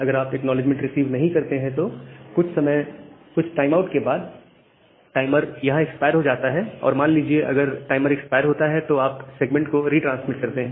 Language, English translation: Hindi, But if you do not receive this acknowledgement, then after some timeout this timer expire say, here and once the timer expires, you retransmit the segment